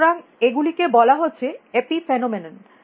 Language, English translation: Bengali, So, these things are calling epiphenomenon